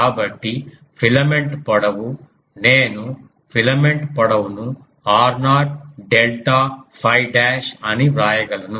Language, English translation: Telugu, So, the filaments length I can write the filament that we are considering its length is r naught delta phi dash